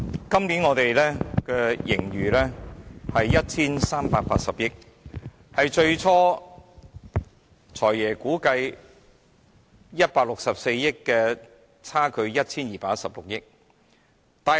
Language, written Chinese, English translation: Cantonese, 今年的盈餘是 1,380 億元，與"財爺"最初估計的164億元相差 1,216 億元。, This year the surplus is 138 billion which exceeded the Financial Secretarys original estimation of 121.6 billion by 16.4 billion